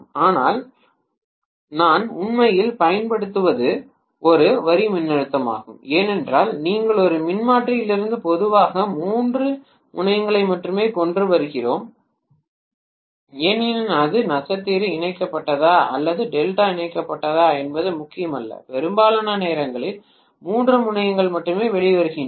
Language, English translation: Tamil, But what I am applying actually is a line voltage I hope you understand because we bring generally only three terminals out of a transformer whether it is star connected or delta connected it hardly matters, most of the time only three terminals come out